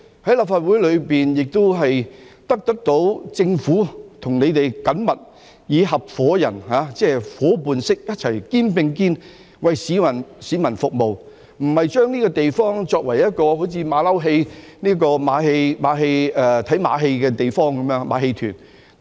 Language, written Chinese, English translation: Cantonese, 在立法會中，亦得到政府與我們緊密地以合夥人般，夥伴式地一起肩並肩為市民服務，而非把這個地方作為"馬騮戲"、看馬戲的地方，是像馬戲團般。, In the Legislative Council we work closely with the Government as partners serving the public shoulder to shoulder rather than treating this place as a venue for watching farcical shows like a circus